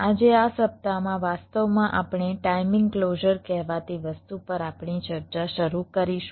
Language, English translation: Gujarati, ah, today, in this week actually, we shall be starting our discussion on something called timing closer